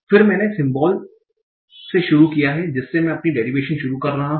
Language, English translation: Hindi, Then I have a start symbol from which I am starting my derivation